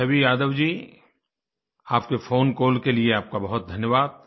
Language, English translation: Hindi, Chhavi Yadav ji, thank you very much for your phone call